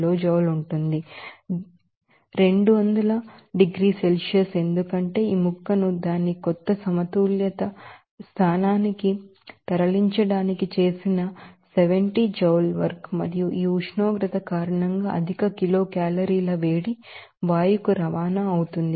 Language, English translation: Telugu, 85 kilojoule based on this temperature rise 200 degree Celsius just because of that 70 joule work done for moving this piece down to its new equilibrium position and also because of this temperature that are to be that high kilocalorie of heat is transport to the gas